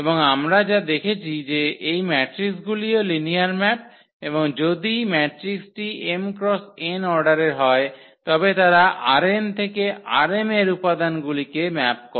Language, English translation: Bengali, And what we have also seen that these matrices are also linear map and if matrix is of order m cross n then they map the elements of R n to the elements of R m